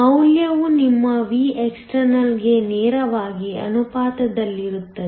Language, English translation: Kannada, The value is directly proportional to your Vext